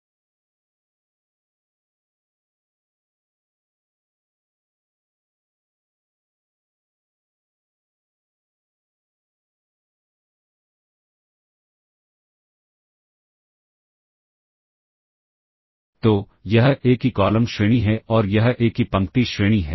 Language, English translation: Hindi, So, this is the column rank of A and this is the row rank of A